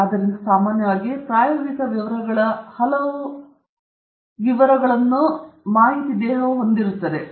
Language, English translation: Kannada, So, normally, many of the experimental papers will have, you know, experimental details